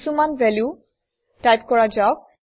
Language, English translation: Assamese, Let us type some values